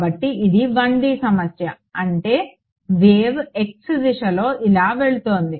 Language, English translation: Telugu, So, this is the 1D problem; that means, the wave is going like this along the x direction right